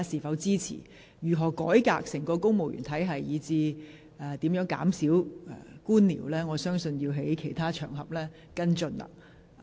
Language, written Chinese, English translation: Cantonese, 對於如何改革整個公務員體系，以至如何減少官僚程序，議員可在其他場合跟進。, As regards how to reform the whole civil service system and reduce red tape Members may follow it up on other occasions